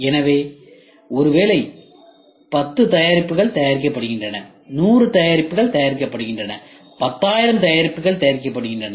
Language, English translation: Tamil, So, maybe 10 products are made, 100 products are made, 10000 products are made